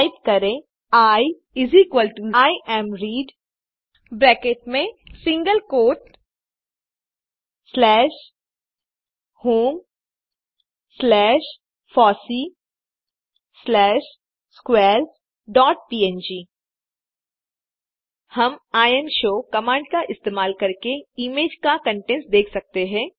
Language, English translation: Hindi, Type I=imread within bracket in single quote slash home slash fossee slash squares dot png We can see the contents of the image, using the command imshow